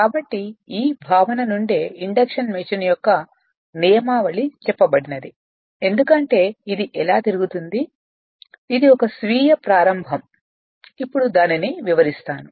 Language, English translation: Telugu, So, from this only from this concept only the principle of induction machine has come that how it rotates because it is a self starting so we will we will come to that right